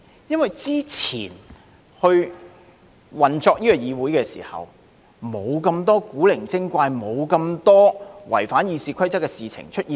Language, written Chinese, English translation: Cantonese, 因為之前運作議會時，並無那麼多古靈精怪及違反《議事規則》的事情出現。, The reason is that in the previous operation of the legislature there were not as many abnormalities and breaches of the Rules of Procedure as we can see these days